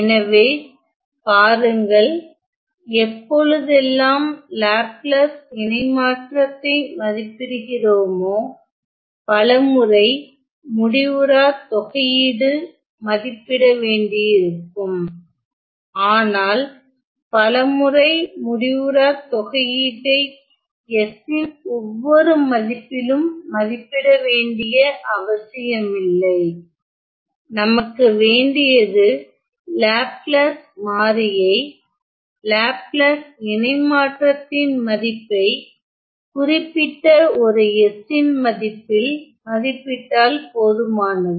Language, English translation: Tamil, So, you see that whenever we evaluate the Laplace transforms, many a times since we know that the Laplace transform needs to for Laplace transform we need to evaluate some infinite integrals many a times we do not have to evaluate or find the value of these integrals at every value of s, the Laplace variable, sometimes all we need is, the value of the Laplace transform at specific points s